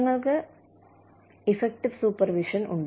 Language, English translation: Malayalam, Then, we have effective supervision